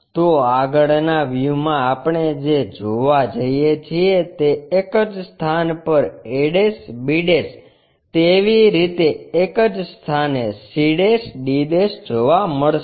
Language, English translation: Gujarati, So, in the frontal view what we are going to see, a' b' at same position, similarly c' d' at the same location